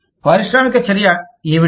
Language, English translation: Telugu, What is the industrial action